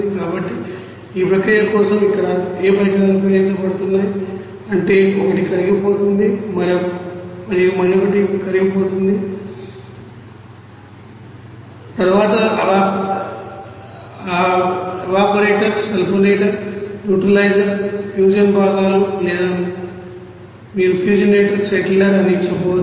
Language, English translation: Telugu, So, what are the you know equipments are being used here for this process one is melter and one is dissolver and then evaporator, sulfonater, neutralizer, fusion parts or you can say that fusionator, settler